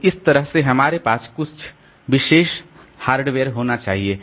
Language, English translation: Hindi, So, this, that way we have to perhaps some special hardware